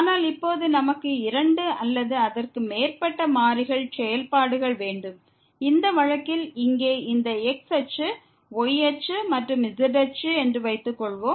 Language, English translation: Tamil, But now, we have functions of two or more variables, in this case suppose here this is axis, axis and axis